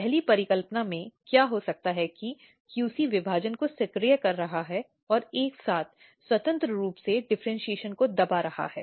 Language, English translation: Hindi, In first hypothesis, what can happen that QC is activating division and repressing differentiation simultaneously, independently